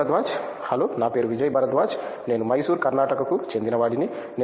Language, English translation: Telugu, Hello my name is Vijay Bharadwaj, I hail from Mysore Karnataka